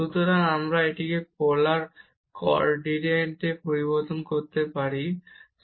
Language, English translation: Bengali, So, we can change this to polar coordinate that is easier